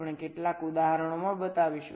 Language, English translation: Gujarati, ok, we shall be showing in some examples